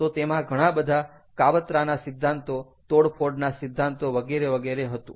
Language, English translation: Gujarati, so there were, there are several conspiracy theories, sabotage theory, etcetera, etcetera